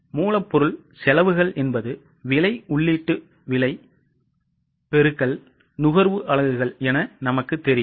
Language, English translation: Tamil, as we know the material cost is units of consumption into the price, input prices